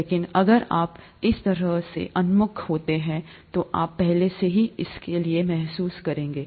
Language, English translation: Hindi, But, if you are oriented that way, you would already have a feel for it